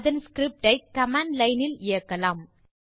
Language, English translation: Tamil, Let us run that script from command line